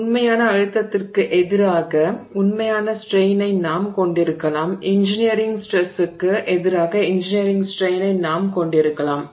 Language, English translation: Tamil, So, we can have true stress versus true strain, we can have engineering stress versus engineering strain and so on